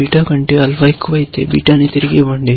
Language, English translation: Telugu, If alpha becomes greater than beta, then we say, return beta